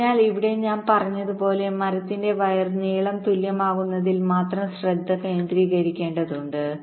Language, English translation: Malayalam, so here, as i had said, we need to concentrate only on equalizing the wire lengths of the tree